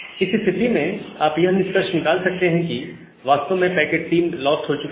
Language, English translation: Hindi, Now, in this case, you can infer that the packet 3 is actually the packet that has been lost